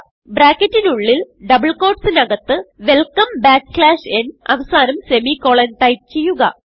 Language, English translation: Malayalam, Inside the bracket within the double quotes type Welcome backslash n , at the end type a semicolon